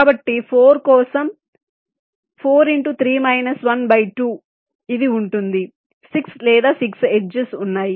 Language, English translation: Telugu, so for four it will be four into three by two or six, there are six edges